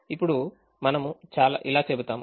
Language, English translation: Telugu, now, let us do that